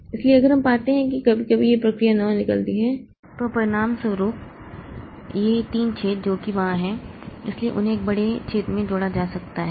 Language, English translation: Hindi, So, if we find that suppose after some time this process nine leaves, so as a result these three holes that are there that are so they can be combined into a big hole